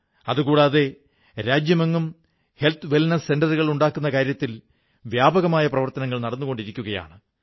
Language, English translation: Malayalam, Also, extensive work is going on to set up Health Wellness Centres across the country